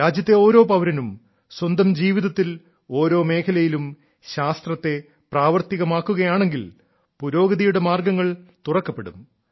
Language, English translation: Malayalam, When every citizen of the country will spread the spirit of science in his life and in every field, avenues of progress will also open up and the country will become selfreliant too